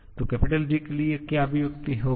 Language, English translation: Hindi, So, what will be the expression for the G